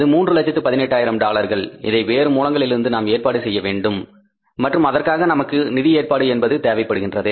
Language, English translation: Tamil, That is $318,000 which we have to arrange from some source and for that we need the financing arrangements